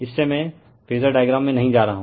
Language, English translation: Hindi, That is your the from this am not going to the phasor diagram